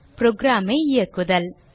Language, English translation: Tamil, To run the program